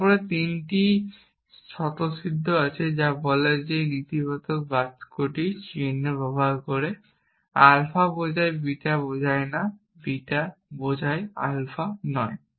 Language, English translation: Bengali, Then, there are three axioms says which use negation sign alpha implies beta implies not beta implies not alpha